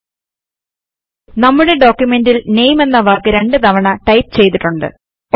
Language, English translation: Malayalam, Notice that we have typed the word NAME twice in our document